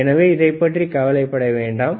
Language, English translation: Tamil, So, do no t worry about this one